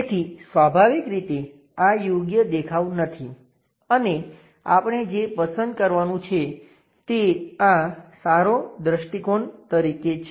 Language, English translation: Gujarati, So, naturally this is not appropriate view and what we have to pick is this one as the good view